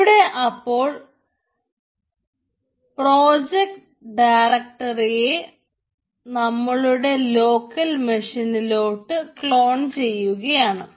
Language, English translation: Malayalam, so it is cloning the project directory into my local machine